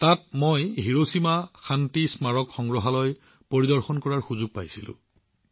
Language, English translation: Assamese, There I got an opportunity to visit the Hiroshima Peace Memorial museum